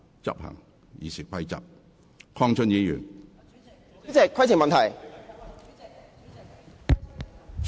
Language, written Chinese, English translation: Cantonese, 陳淑莊議員，你有甚麼問題？, Ms Tanya CHAN what is your point?